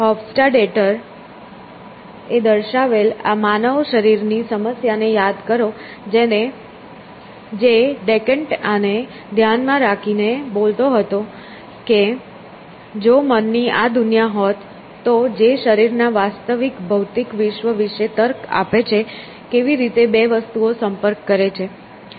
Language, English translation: Gujarati, So, Hofstadter, so remember this mind body problem which Decant was blipping with that if there is this world of the mind which is reasoning about the real physical world out there the body; how do the two things interact essentially